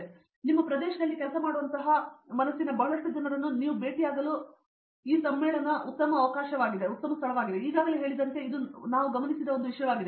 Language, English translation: Kannada, So, one thing I noticed was as people already said you get to meet lot of people, like minded people that are working in your area